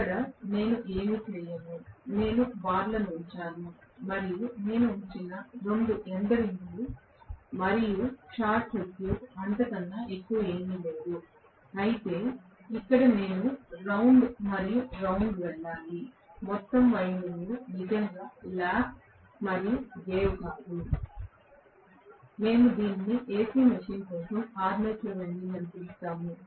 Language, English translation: Telugu, Here, I do not do anything I just put the bars, and 2 end rings I put and short circuit, nothing more than that whereas here I have to go round and round taking the entire winding in the form of not really lap and wave, we call this as the armature winding for the AC machine